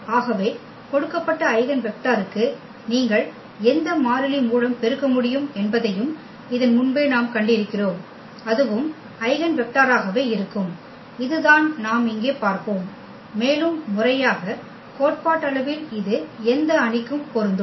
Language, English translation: Tamil, So, this we have also seen before that for the given eigenvector you can multiply by any constant and that will also remain the eigenvector and this is what we will see here, and more formally theoretically that this is true for any matrix